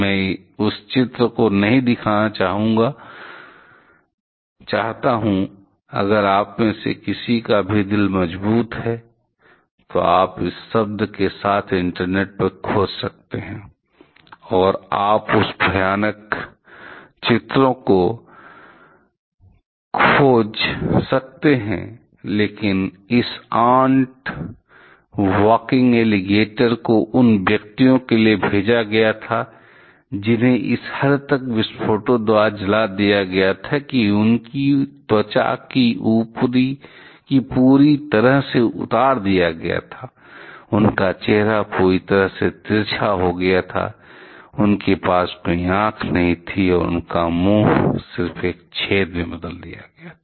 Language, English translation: Hindi, I do not want to show the images of that, if anyone any of you have strong heart you can search on internet with this term and you can find those horrific pictures, but this ant walking alligators were referred to the persons who had been burned by the explosions to such an extent; there that their skin was completely taken off, their face was completely obliterated, they did not have any eyes and their mouth was converted to just a hole